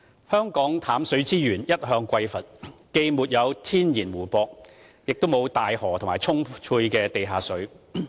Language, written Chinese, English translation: Cantonese, 香港淡水資源一向匱乏，既沒有天然湖泊，亦沒有大河或充沛的地下水。, With neither natural lakes nor big rivers or abundant groundwater Hong Kongs freshwater resources have always been in a state of scarcity